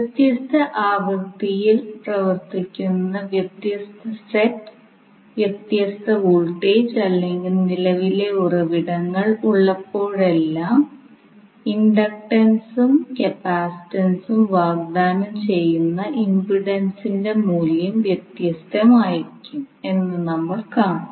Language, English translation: Malayalam, Whenever we have different set, different voltage or current sources operating at different frequencies we will see that the value of inductance and capacitance C not the value of inductance and capacitance, we will say that it is the impedance offered by the inductance and capacitance will be different